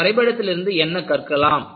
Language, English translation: Tamil, And, what do you learn from this graph